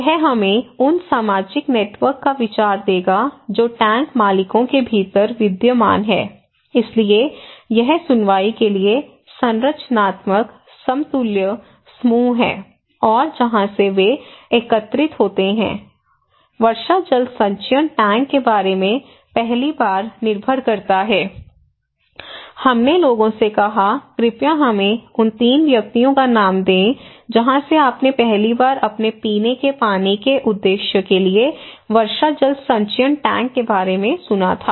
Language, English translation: Hindi, This will give us the idea of the social networks that prevails within the tank owners so, this is structural equivalent group and for the hearing, from where they collected depends the first time about the rainwater harvesting tank, we said to the people hey, please name us 3 persons from where you first time heard about rainwater harvesting tank for your drinking water purpose